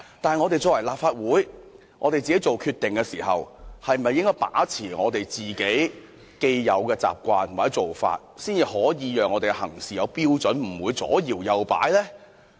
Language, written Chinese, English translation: Cantonese, 但是，立法會在作出決定時是否應把持既有的習慣或做法，才可有一套行事標準，不致左搖右擺？, However should the Legislative Council stick to some conventional ways or established practices when making decisions so that it can develop a code of practice and avoid swaying among different stances?